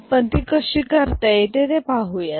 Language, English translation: Marathi, Let us see how we can do it